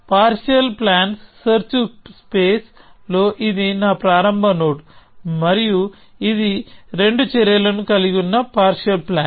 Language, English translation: Telugu, So, this is my starting node in the search space of partial plans, and this is a partial plan which has two actions